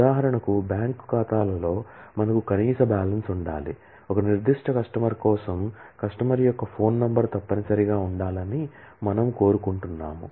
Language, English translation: Telugu, For example, in bank accounts, we have a minimum balance that need to be maintained, for a particular customer we might want that the customer’s phone number must be present